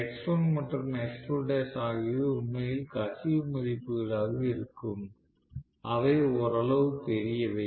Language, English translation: Tamil, So, x1 and x2 dash actually are going to be leakage values which are somewhat large